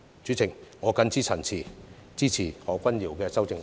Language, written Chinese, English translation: Cantonese, 主席，我謹此陳辭，支持何君堯議員的修正案。, President with these remarks I support Dr Junius HOs amendment